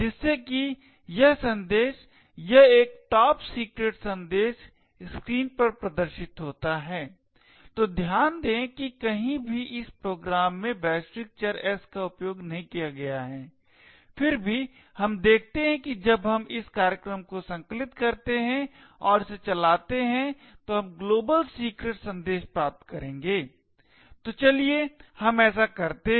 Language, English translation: Hindi, So that this message this is a top secret message get displayed on the screen, so note that in anywhere in this program the global variable s is not used however we see that when we compile this program and run it we would obtain the global secret message, so let us do that